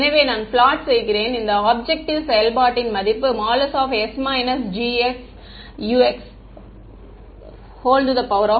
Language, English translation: Tamil, So, what I am plotting is the value of this objective function s minus G s U x